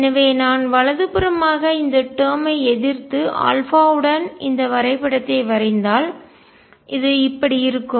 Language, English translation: Tamil, So, if I were to plot right hand side this term versus alpha this would look like this